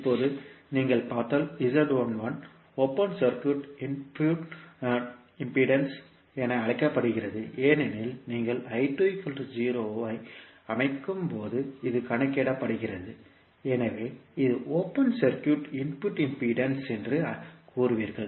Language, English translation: Tamil, Now, if you see Z11 is called as a open circuit input impedance because this is calculated when you set I2 is equal to 0, so you will say that this is open circuit input impedance